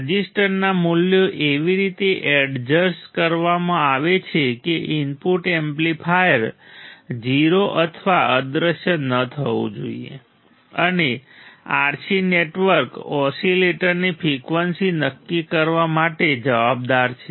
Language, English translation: Gujarati, The resistor values are adjusted in a way that input amplifier must not be 0 or non vanishing right the RC network is responsible for determining the frequency of the oscillator